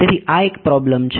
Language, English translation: Gujarati, So, this is a problem